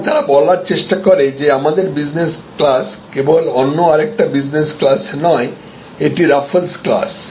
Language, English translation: Bengali, So, they try to say that our business class is not just another business class its raffles class